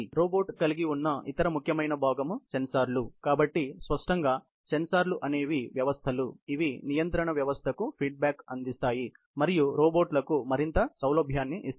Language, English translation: Telugu, The other important component the robot has is the sensors; so obviously, the sensors are you know systems, which provide feedback to the control system and gives the robots, more flexibility